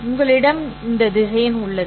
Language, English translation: Tamil, Now, these are the vectors